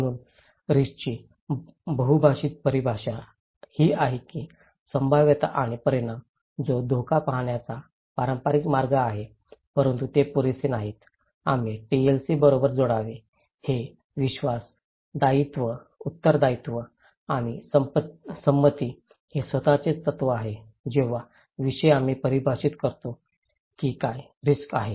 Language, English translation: Marathi, So, polythetic definition of risk is that probability and magnitude that is the traditional way of looking at risk but that is not enough, we should add the TLC okay, this is the principle of trust, liability and consent are themselves also, the subject when we define that what is risk